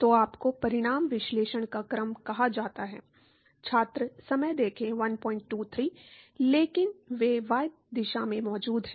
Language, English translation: Hindi, So, you have to what is called the order of magnitude analysis